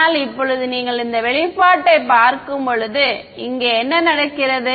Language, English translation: Tamil, But now when you look at this expression what happens over here